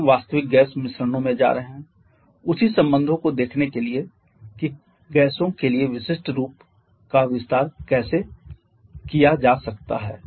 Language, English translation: Hindi, Then we shall be moving to the real gas mixtures to see the same relations how can explain specific to the specific form for the gaseous